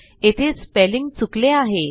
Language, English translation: Marathi, a spelling mistake...